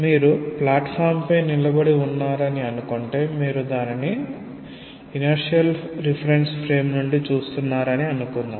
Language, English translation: Telugu, Say you are standing on a platform and you are looking into it from a inertial reference frame